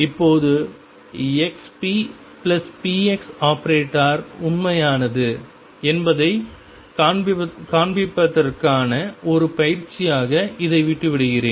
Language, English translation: Tamil, Now, I leave this as an exercise for you to show that expectation value xp plus px is real all right